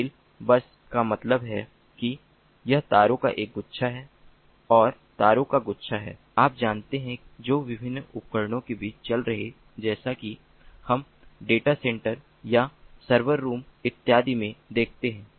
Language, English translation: Hindi, fill bus means that its a bunch of wires and bunch of wires, you know, running between different devices, as we see in the data centers or server rooms and so on